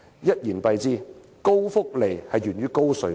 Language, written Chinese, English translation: Cantonese, 一言蔽之，高福利源於高稅率。, In a nutshell generous welfare benefits is a result of high tax rates